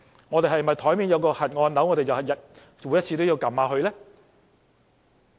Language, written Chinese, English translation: Cantonese, 我們是否因為桌面有個"核按鈕"，便每次也要按一按呢？, Are we going to press the nuclear button every time we see it just because it is on the table?